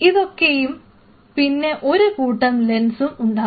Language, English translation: Malayalam, These are the things and you have couple of assembly of lens